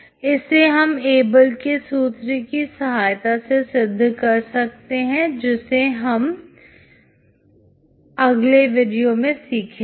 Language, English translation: Hindi, This is proved by looking at a formula called Abel’s formula, we will see in the next video